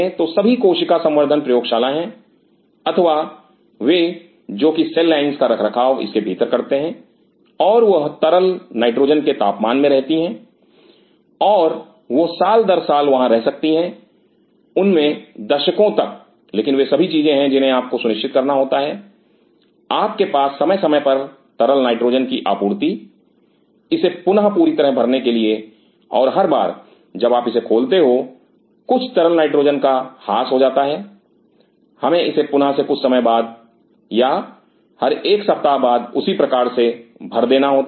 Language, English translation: Hindi, So, these are every cell culture lab or maintaining cell lines they maintain in it and they remain in liquid nitrogen temperature and they can remain years after years, decades after decades in them, but all the thing is that you have to ensure you have liquid nitrogen being supplied time to time re replenish for it and every time you are opening it there is a depletion of the liquid nitrogen we have to replace it period of time or every week or like ways